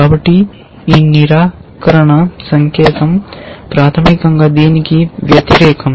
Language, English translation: Telugu, So, this negation sign basically is the opposite of this